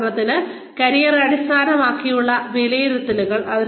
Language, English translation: Malayalam, For example, career oriented appraisals